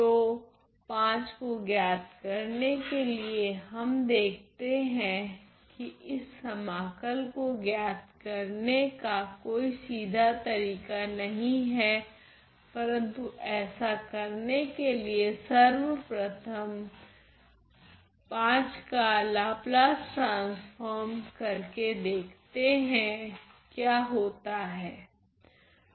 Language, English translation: Hindi, So, to evaluate V we see that there is no direct method of evaluation of this integral, but to do that let us first take the Laplace transform of V to see what happens